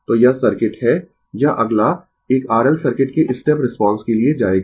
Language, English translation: Hindi, So, this is the circuit, this next we will go for step response of an R L circuit